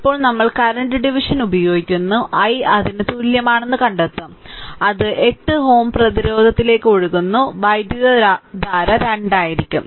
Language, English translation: Malayalam, Now, we have to the current division will find out i is equal to right it is flowing what is the current flowing to 8 ohm resistance it will be 2 right